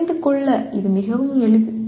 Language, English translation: Tamil, This is fairly simple to understand